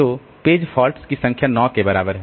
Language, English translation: Hindi, So, number of page faults is equal to 9